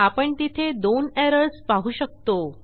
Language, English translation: Marathi, We can see that there are two errors